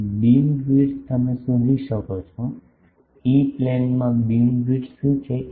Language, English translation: Gujarati, Now, beamwidth you can find, what the beam width is in the E plane